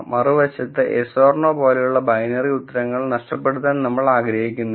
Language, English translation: Malayalam, On the other hand if you model through probabilities, we do not want to lose binary answer like yes or no also